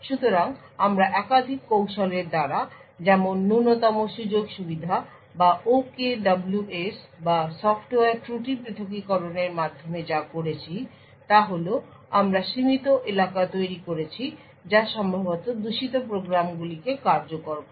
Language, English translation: Bengali, So, what we did through multiple techniques such as least privileges or the OKWS or the software fault isolation we had created confined areas which executed the possibly malicious programs